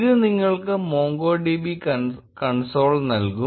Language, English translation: Malayalam, It should give you MongoDB console